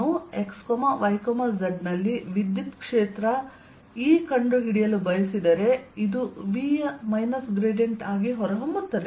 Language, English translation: Kannada, if i want to find the electric field e, x, y and z, this comes out to be as minus gradient of v